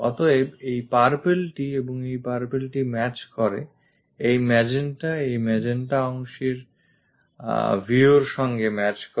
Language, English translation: Bengali, So, this purple one and this purple one matches and this magenta and this magenta portion matches the view